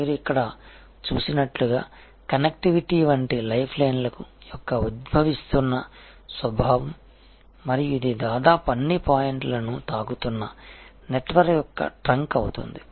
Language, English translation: Telugu, And as you see here, because of this the emerging nature of life line like connectivity and this becomes a trunk of the network touching all most all of point